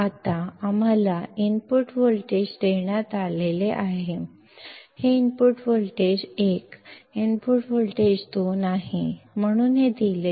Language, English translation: Kannada, Now, we have being given the input voltages; this is input voltage 1, input voltage 2